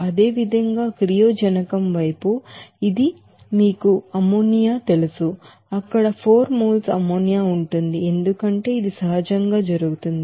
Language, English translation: Telugu, Similarly, in the reactant side this you know ammonia, 4 moles of ammonia there since it is naturally occurring